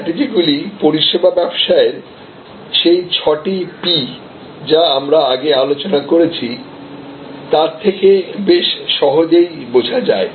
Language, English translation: Bengali, These strategies can be understood quite easily in terms of those six P’s of service business that we have discussed before